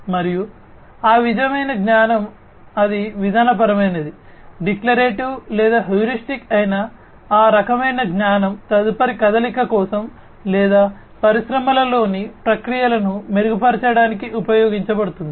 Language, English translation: Telugu, And, that kind of knowledge will be used whether it is procedural, declarative or, heuristic, that kind of knowledge is going to be used to make the next move or, to improve the processes in the industries